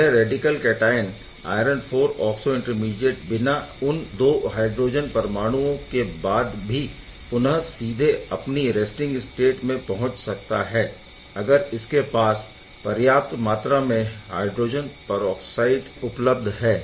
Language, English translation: Hindi, It forms this high valent iron oxo intermediate iron IV oxo with the radical cation intermediate, now this radical cation iron IV oxo intermediate can then go back to the resting state directly without having those 2 hydrogen atom if enough hydrogen peroxide is present right